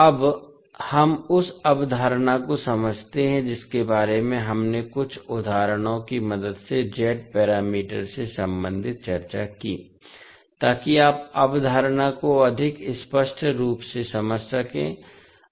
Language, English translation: Hindi, Now, let us understand the concept which we discussed related to Z parameters with the help of few examples so that you can understand the concept more clearly